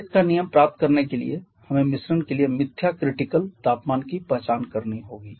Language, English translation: Hindi, I hope you do so just apply that to get the kays rule we have to identify the pseudo critical temperature for the mixture